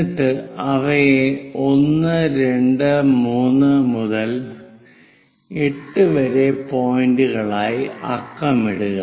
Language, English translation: Malayalam, Then number them as point 1, 2, 3 all the way to 8